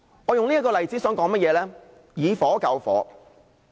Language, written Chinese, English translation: Cantonese, 我以此例子說明"以火救火"。, This is an example of using fire to fight fire